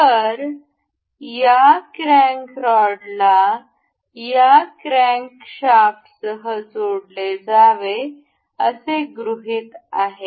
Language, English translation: Marathi, So, this this crank rod is supposed to be attached with this crankshaft